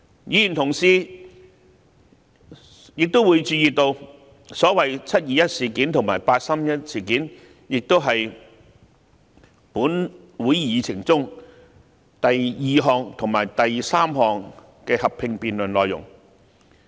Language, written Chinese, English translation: Cantonese, 議員同事亦會留意到，所謂"七二一"事件及"八三一"事件是立法會會議議程中第二及三項合併辯論的內容。, Members will be aware that the so - called 21 July incident and the 31 August incident have already been listed on the Agenda of the meeting of the Legislative Council as subjects of the second and third joint debates